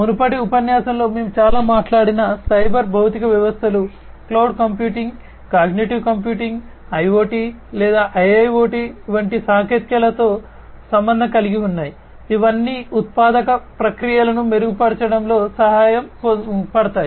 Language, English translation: Telugu, Cyber physical systems we have talked a lot in a previous lecture also associated technologies such as cloud computing, cognitive computing, IoT or IIoT; all of these can help in making manufacturing processes sorry, manufacturing processes better